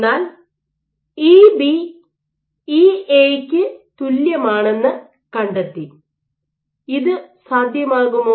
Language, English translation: Malayalam, So, you found EB equal to EA, can this be possible